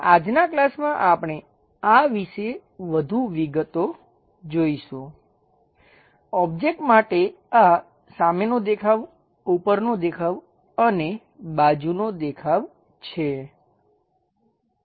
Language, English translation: Gujarati, In today's class we will look at more details about this is front view top view and side view for different objects